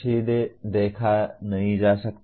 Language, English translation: Hindi, Cannot directly be observed